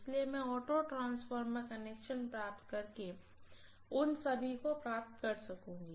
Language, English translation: Hindi, So I would be able to get all of them by having auto transformer connection, got it